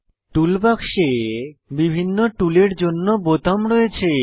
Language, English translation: Bengali, Toolbox contains buttons for different tools